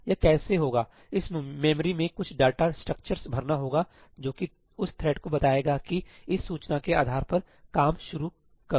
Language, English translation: Hindi, How is that done it has to fill up some data structures in the memory that tell that thread that hey